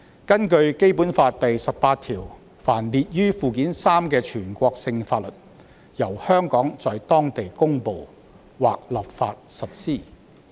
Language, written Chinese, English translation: Cantonese, 根據《基本法》第十八條，凡列於《基本法》附件三之全國性法律，由香港在當地公布或立法實施。, Under Article 18 of the Basic Law national laws listed in Annex III shall be applied locally by way of promulgation or legislation by Hong Kong